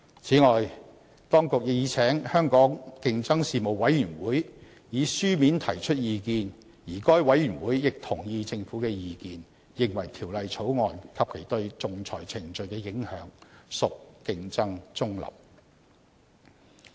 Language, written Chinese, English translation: Cantonese, 此外，當局已請香港競爭事務委員會以書面提出意見，而該委員會亦同意政府的意見，認為《條例草案》及其對仲裁程序的影響屬競爭中立。, Besides the Administration has sought the written views of the Competition Commission and the Competition Commission shares the Governments view that the Bill and its implications for the arbitration process is competition neutral